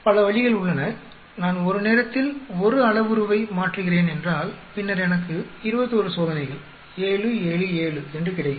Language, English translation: Tamil, There are so, many ways suppose I change one parameter at a time and then I may get about may be 21 experiments 7, 7, 7 like that